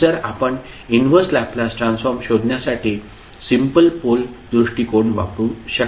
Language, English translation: Marathi, Then you can use the simple pole approach to find out the Inverse Laplace Transform